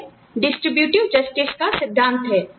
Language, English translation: Hindi, This is the principle of distributive justice